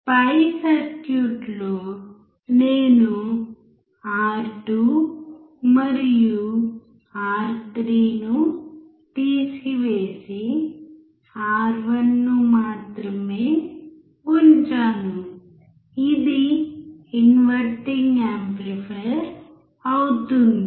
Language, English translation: Telugu, In the above circuit, if I remove R2 and R3 and keep only R1, it will be an inverting amplifier